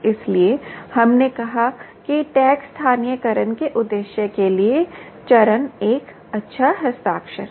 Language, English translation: Hindi, so we said phase appears to be a good signature for purpose of tag localization